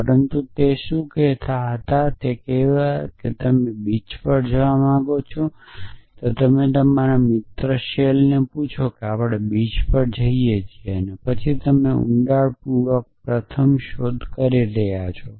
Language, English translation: Gujarati, But what were saying is that let say that you decide that you want to go to a go to the beach you ask your friend shell we go to the beach and then you are doing a depth first search